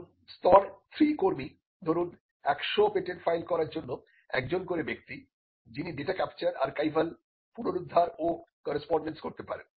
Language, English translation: Bengali, Now, level three stuff could be an individual for say 100’s of patent that is filed who can do the data capture archival retrieval and correspondence